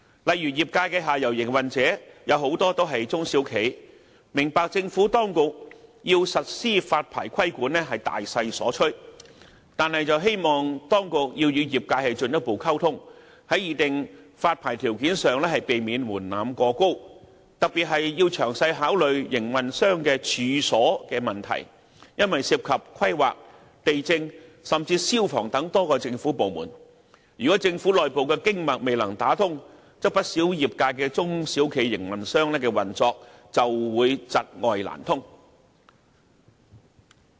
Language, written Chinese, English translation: Cantonese, 例如，業界的下游營運者，有很多也是中小企，我們明白政府當局要實施發牌規管是大勢所趨，但希望當局要與業界進一步溝通，在擬定發牌條件上避免門檻過高，特別是要詳細考慮營運商的"處所"問題，因為涉及規劃、地政及消防等多個政府部門，如果政府內部的"經脈"未能打通，不少業界的中小企營運商的運作就會窒礙難通。, For example we understand that the authorities have to press ahead with the licensing control under the prevailing circumstances but we do hope that they will taking into account that a lot of the operators at downstream are small and medium enterprises SMEs further communicate with the industries to avoid putting in place excessively high thresholds in drawing up licensing conditions . In particular they have to consider in detail the issue of premises of operators since that involve a number of government departments including the Planning Department Lands Department and the Fire Services Department . Any internal communication barriers among government departments will definitely hinder the operations of the SMEs in the industries concerned